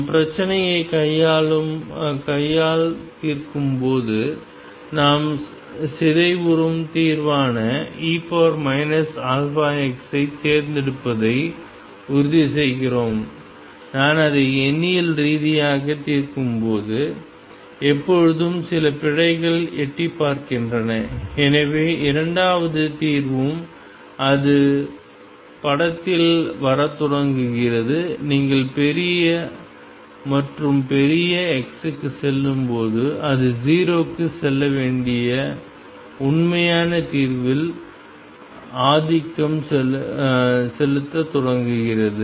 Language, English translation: Tamil, When we solve the problem by hand then we make sure that we pick this solution E raise to minus alpha x which is a decaying solution, when I solve it numerically there are always some errors peeping in and therefore, the second solution also it starts coming into the picture and as you go to larger and larger x it starts dominating the true solution which should go to 0